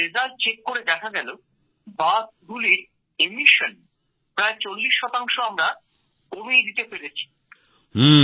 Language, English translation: Bengali, We then checked the results and found that we managed to reduce emissions by forty percent in these buses